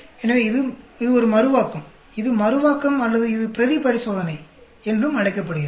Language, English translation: Tamil, So, it is a Reproducibility, it is Reproducibility or it is also called the replicated experiment